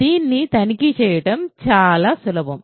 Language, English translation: Telugu, This is very easy to check